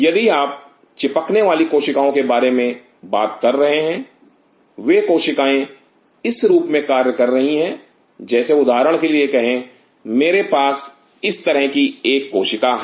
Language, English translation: Hindi, If you are talking about adhering cells, the cells the way it works is something like this say for example, I have a cell like this